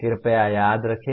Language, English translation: Hindi, Please remember that